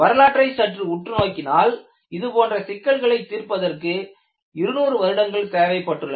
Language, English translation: Tamil, If you really look at the history, it took brilliant minds to solve this problem for 200 years